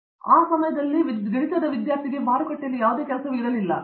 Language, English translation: Kannada, So, at that time there was no job even in the market for the mathematics students